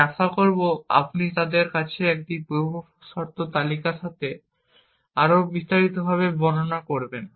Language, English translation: Bengali, I will expect you to them to describe it in more detail with this precondition list, add list and delete list